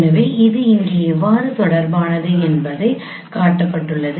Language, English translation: Tamil, So this this has been shown here how it can be related like this